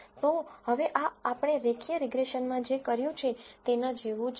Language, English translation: Gujarati, So now, this is similar to what we have done in linear regression